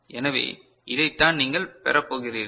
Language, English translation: Tamil, So, this is what you are going to get